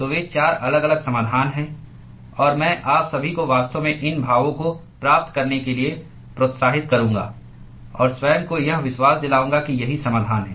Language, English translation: Hindi, So, those are the four different solutions; and I would encourage all of you to actually derive these expressions and convince yourself that this is the solution